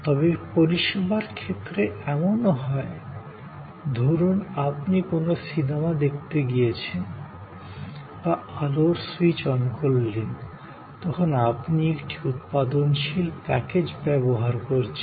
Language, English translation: Bengali, But, in service, there are number of occasions, for example, if you go to a movie show or you switch on your light, you are using a productive package